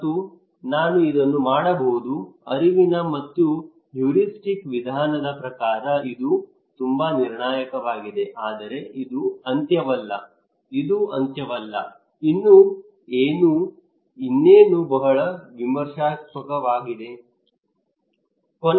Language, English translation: Kannada, And I can do it, is very critical according to cognitive and heuristic approach but this is not the end, this is not the end yet what else, what else is very critical